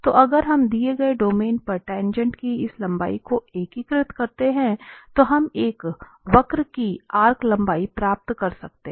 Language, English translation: Hindi, So if we integrate this length of the tangent vector over the given domain then we can get the arc length of a curve